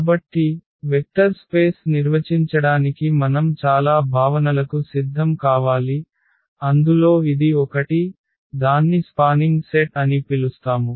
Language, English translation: Telugu, So, to define the Vector Space we need to prepare for many concepts and this is one of them so, called the spanning set